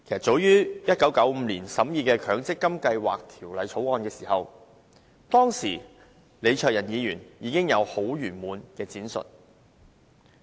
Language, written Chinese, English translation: Cantonese, 早於1995年，當立法局審議《強制性公積金計劃條例草案》時，當時的李卓人議員有很詳盡的闡述。, As early as 1995 when the Mandatory Provident Fund Schemes Bill was being scrutinized by the Legislative Council then Member of the Legislative Council Mr LEE Cheuk - yan already elaborated on this in detail